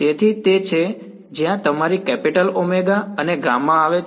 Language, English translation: Gujarati, So, that is where your capital omega and gamma come into play ok